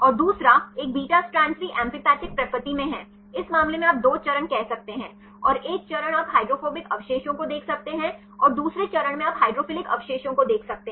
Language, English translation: Hindi, And second one the beta strands are also in amphipathic nature in this case you can say 2 phases and one phase you can see the hydrophobic residues and the other phase you can see the hydrophilic residues right